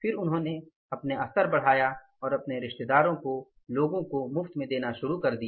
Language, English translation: Hindi, Then he increased the level then he started giving it to his relatives other people as the free of cost